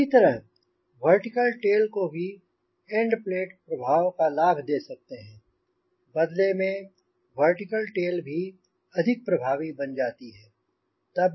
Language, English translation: Hindi, similarly, vertical tail also gets advantage of end plate effects and in turn you say vertical tail also becomes very effective